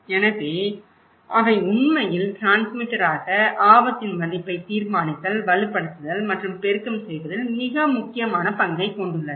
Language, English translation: Tamil, So, they are actually transmitter play a very critical role in deciding, reinforcing and amplifying the value of the risk